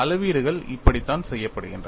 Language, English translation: Tamil, This is how the measurements are done